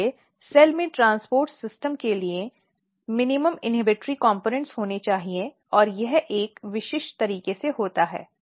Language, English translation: Hindi, So, cell has to have minimum inhibitory components here for the transport system and this happens in a very very specific manner